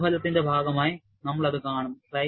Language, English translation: Malayalam, We would see that as part of the experimental result